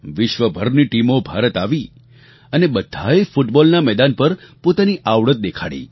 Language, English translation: Gujarati, Teams from all over the world came to India and all of them exhibited their skills on the football field